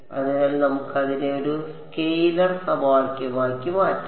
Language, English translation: Malayalam, So, we can convert it into a scalar equation